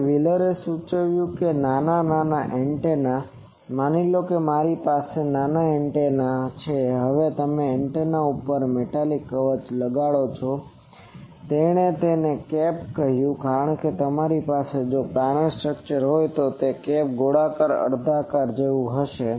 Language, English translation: Gujarati, Now, what wheeler suggested that small antenna, suppose I have a antenna now you put a metallic shield over the antenna he called it cap because, if you have a planar structure it will the cap will be something like a sphere hemisphere